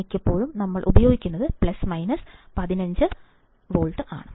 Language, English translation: Malayalam, Most of the time what we use is, plus minus 15 volts